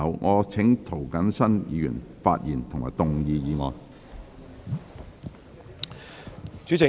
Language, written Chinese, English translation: Cantonese, 我請涂謹申議員發言及動議議案。, I call upon Mr James TO to speak and move the motion